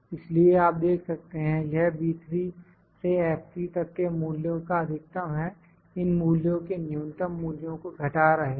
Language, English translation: Hindi, So, you can see it is maximum of these values B3 to F3 minus minimum of these values B3 to F3